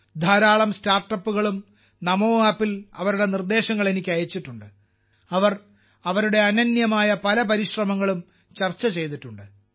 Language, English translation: Malayalam, A large number of Startups have also sent me their suggestions on NaMo App; they have discussed many of their unique efforts